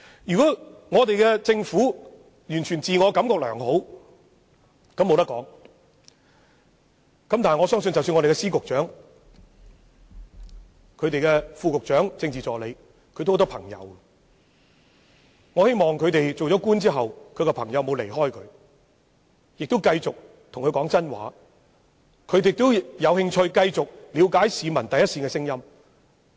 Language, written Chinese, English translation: Cantonese, 如果政府完全自我感覺良好，我也無話可說，但我相信各司長、局長、副局長及政治助理也有很多朋友，希望他們當上官員後沒有被朋友疏遠，他們的朋友仍願意繼續對他們說真話，而他們亦有興趣繼續了解市民的心聲。, If the Government feels completely fine about itself I have nothing to say but I believe that our Secretaries of Departments Bureau Directors Under Secretaries and Political Assistants have friends . I hope that their friends have not opted to keep them at arms length after they became government officials that their friends will continue to tell the truth when talking to them and that they themselves are still interested in understanding the peoples heartfelt wishes